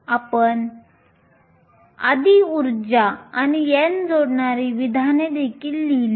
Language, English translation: Marathi, We also wrote an expression earlier connecting energy and n